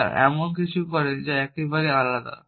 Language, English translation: Bengali, They do something which is quite different